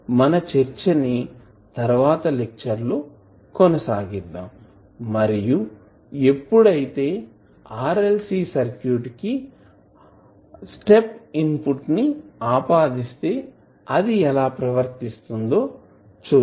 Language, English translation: Telugu, We will continue our discussion in the next lecture and we will see when we apply step input to the RLC circuit how it will behave